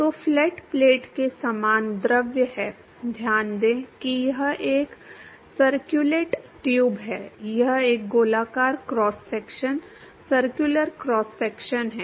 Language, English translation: Hindi, So, similar to flat plate the fluid is, note that it is a circulate tube, it is a circular cross section, circular cross section